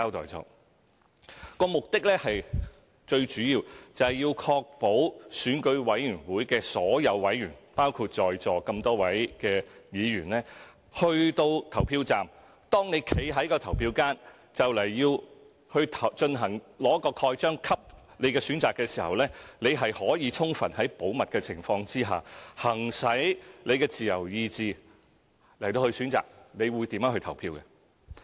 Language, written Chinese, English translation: Cantonese, 保密措施的目的最主要是確保選舉委員會委員——包括在座各位議員——到了投票站，在投票間用印章蓋下自己的選擇時，可以在充分保密的情況下，行使個人的自由意志作出選擇和投票。, The aim of the confidentiality measures is mainly to ensure that members of the Election Committee EC including Members present here will be able to exercise their own free will to choose and vote for the candidates of their choice in complete confidence when they stamp for the candidate whom they choose in the voting compartment of the polling station